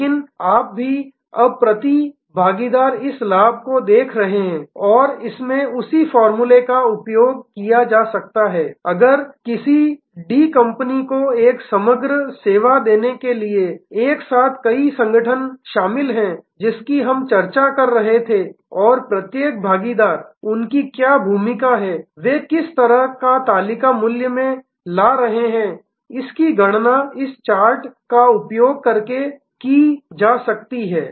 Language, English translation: Hindi, But you are also now, looking at this profit per partner and in this the same formula can be used if there are number of organizations involved together in delivering a composite service to a D company, which we were discussing and each partner, what role they are playing, what kind of value they are bringing to the table can be calculated by using this kind of chart